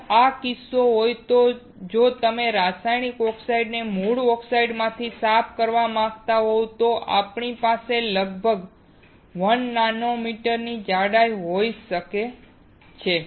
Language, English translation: Gujarati, If this is the case, if you want to clean the chemical oxides from the native oxides we can have thickness of about 1 nanometer